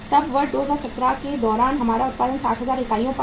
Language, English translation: Hindi, Then we have production during the year 2017 was 60,000 units